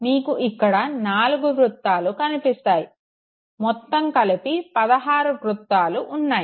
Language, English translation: Telugu, You find four circles here and finally you have 16 of them now